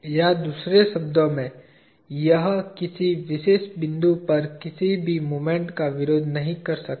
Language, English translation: Hindi, Or in other word, it cannot resist any moment at any particular point